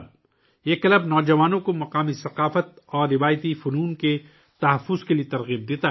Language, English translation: Urdu, This club inspires the youth to preserve the local culture and traditional arts